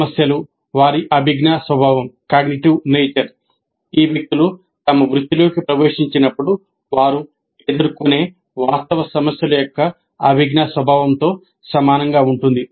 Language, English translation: Telugu, The problems, their cognitive nature is quite similar to the cognitive nature of the actual problems that these people will face when they enter their profession